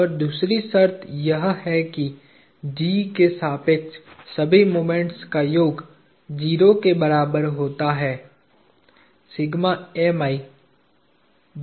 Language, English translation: Hindi, And the second condition is that the summation of all the moments about G is equal to 0